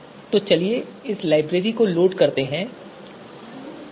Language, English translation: Hindi, So let us load this library library PSE